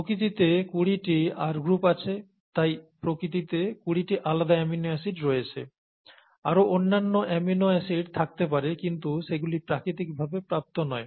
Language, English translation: Bengali, It so happens that there are twenty R groups, that exist in nature and therefore there are 20 different types of amino acids that exist in nature, right